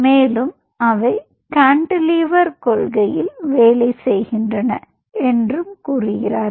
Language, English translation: Tamil, ok, and they say they, they work on cantilever principle